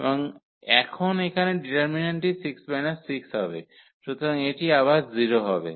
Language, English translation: Bengali, And now the determinant here will be the 6 minus 6, so again this 0